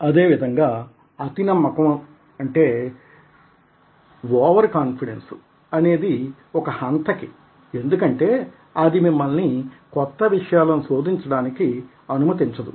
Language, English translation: Telugu, similarly, over confidence can be a killer because that does not permit you to explore